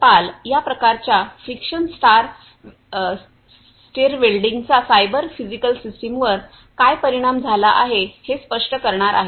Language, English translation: Marathi, Pal who is going to explain how this kind of friction stir welding is cyber physical system what’s impacted